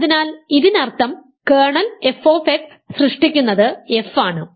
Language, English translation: Malayalam, So, that already means that f is the generator of the kernel f x